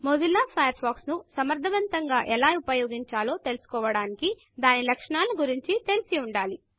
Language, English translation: Telugu, To learn how to use Mozilla Firefox effectively, one should be familiar with each of its features